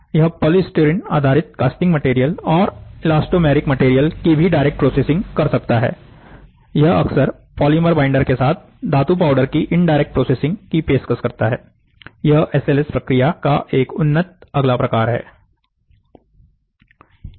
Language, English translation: Hindi, So, these are, they can also process polystyrene based casting materials and elastomeric materials directly and they often offer indirect processing of metal powders with polymer binders, this is an advanced next variant of SLS process